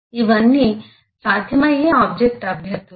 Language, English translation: Telugu, these are all possible candidates for objects